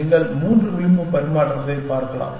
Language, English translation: Tamil, You can look at 3 edge exchange